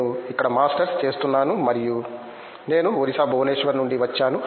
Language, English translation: Telugu, I am doing a Masters here and I am from Orissa particular Bhubaneswar